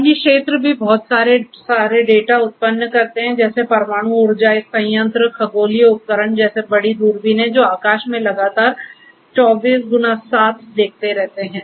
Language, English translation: Hindi, Other fields also generate lot of data nuclear power plants, astronomical devices such as big big telescopes, which look into the sky continuously 24x7